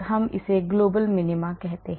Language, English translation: Hindi, we call this global minima